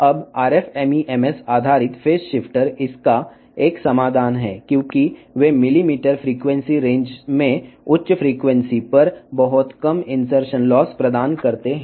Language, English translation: Telugu, Now, the if RF MEMS based phase shifter is a solution to this because they provide very low insertion loss at higher frequency in millimeter wave frequency range